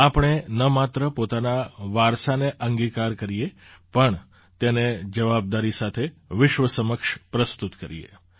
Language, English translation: Gujarati, Let us not only embrace our heritage, but also present it responsibly to the world